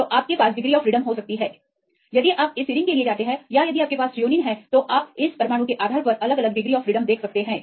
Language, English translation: Hindi, So, you can have the rotations if you go for this serine or if you have the Threonine you can see depending upon this atom the type right you can see different rotatable ones